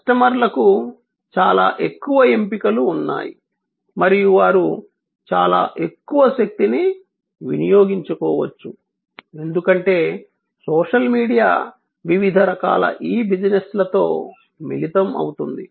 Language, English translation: Telugu, And that is that customers have lot more choices and they can exercise lot more power, because of the social media combine with different types of e businesses